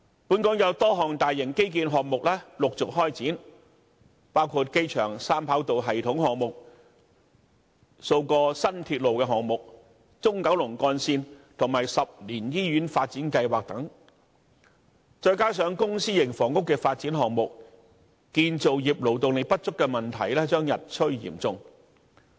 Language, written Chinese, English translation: Cantonese, 本港有多項大型基建項目陸續開展，包括機場三跑道系統項目、數個新鐵路項目、中九龍幹線，以及10年醫院發展計劃等，再加上公私營房屋的發展項目，建造業勞動力不足的問題將日趨嚴重。, Various large - scale infrastructural projects have commenced one after another in Hong Kong including the Three - runway System project several new railway projects the Central Kowloon Route and the 10 - year hospital development plan coupled with the public and private housing development projects . The labour shortage in the construction industry will become increasingly serious